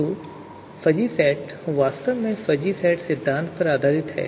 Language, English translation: Hindi, So fuzzy sets, it is actually based on fuzzy set theory